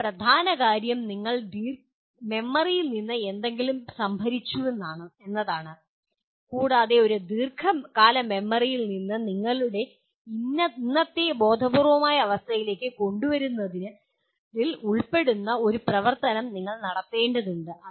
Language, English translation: Malayalam, But the main thing is you have stored something in the memory and you have to perform an activity that will involve in bringing from a long term memory to your present conscious state